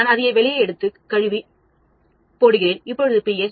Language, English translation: Tamil, I take it out, wash it, and put it, it could be 2